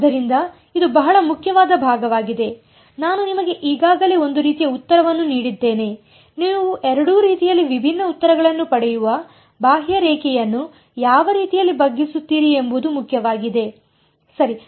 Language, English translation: Kannada, So, this is this is a very very important part I have sort of given the answer of you already it matters which way you bend the contour you get different answers in both cases ok